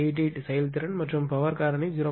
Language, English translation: Tamil, 88 is efficiency and a lagging power factor 0